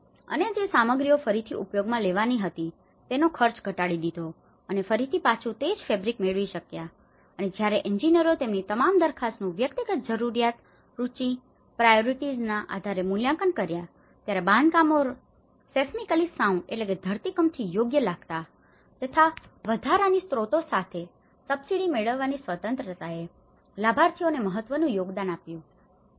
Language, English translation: Gujarati, And other materials which have been reused which could reduce the cost and also get back the similar fabric what they had and because the engineers were evaluating all their proposals all the constructions were seismically sound while responding at the same time to individual needs, tastes and priorities, the freedom to match the subsidies with additional sources prompted an important contribution from the beneficiaries